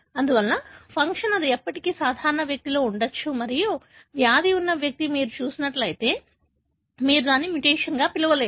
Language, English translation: Telugu, Therefore, still that could be present in the normal individual and if you happen to see an individual who is having a disease, you cannot call that as a mutation